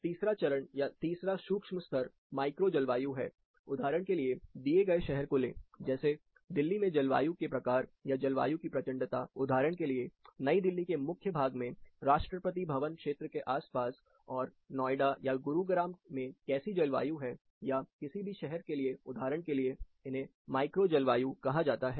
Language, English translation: Hindi, The third step, or the third micro level is the micro climate, for example, take a given city, like Delhi for example, the climate type, or the climate severity, for example, in the core of New Delhi, in and round Rashtrapathi Bhavan area, versus what happens in Noida or Gurgoan, or any city for that example, these are called micro climates